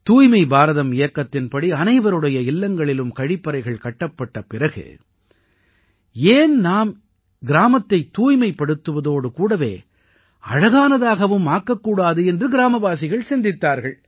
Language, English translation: Tamil, Under the Swachh Bharat Abhiyan, after toilets were built in everyone's homes, the villagers thought why not make the village clean as well as beautiful